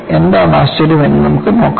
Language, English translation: Malayalam, Let us see what the surprise was